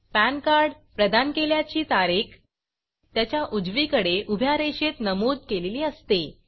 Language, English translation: Marathi, The Date of Issue of the PAN card is mentioned at the right hand side of the PAN card